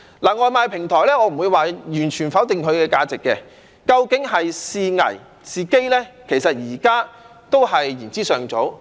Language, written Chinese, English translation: Cantonese, 對於外賣平台，我不會完全否定它的價值，究竟是危是機？現在都言之尚早。, Speaking of takeaway delivery platforms I will not completely deny its value and it is too early to say whether they can bring opportunities or risks